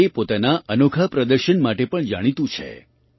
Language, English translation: Gujarati, It is also known for its unique display